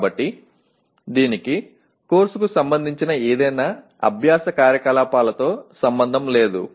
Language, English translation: Telugu, So it has nothing to do with any learning activity related to the course